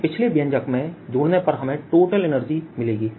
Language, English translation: Hindi, this add it to the previous expression will give me the total energy, and let us do that